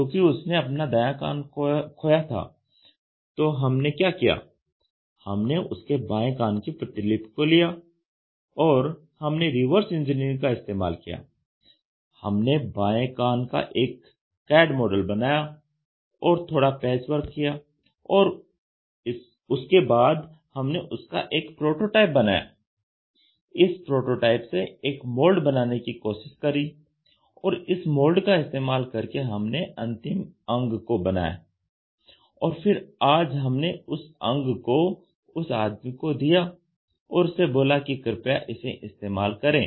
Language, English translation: Hindi, So, what we did was we copied his left ear and he has lost his right ear, we copied his left ear and We did Reverse Engineering then we developed it by cad model, then we did some patch work here and there and then what we did was, we tried to make a prototype of it then we try to make a mould out of it and from that mould we made a final component and then we have today given it to him and said that please use this ear